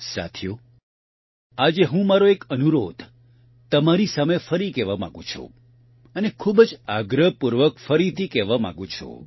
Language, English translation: Gujarati, Friends, today I would like to reiterate one more request to you, and insistently at that